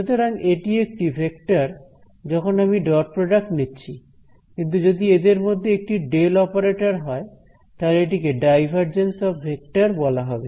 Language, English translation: Bengali, So, this is a vector I can take the dot product, but when one of these guys is the del operator this act is called the divergence of the vector